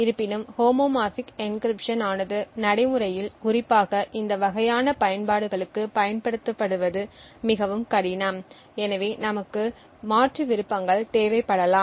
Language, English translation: Tamil, However homomorphic encryption is quite difficult to achieve in practice especially for this kind of uses and therefore we would require alternate options